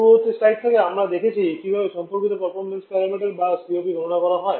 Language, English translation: Bengali, From the previous slide we have seen how to calculate the corresponding performance para meter and also the COP